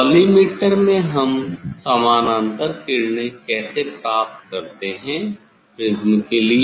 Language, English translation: Hindi, in collimator how we get the parallel rays for the for the prism